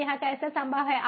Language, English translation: Hindi, so how is that made possible